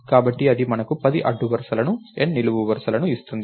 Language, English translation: Telugu, So, that will give us 10 rows by N columns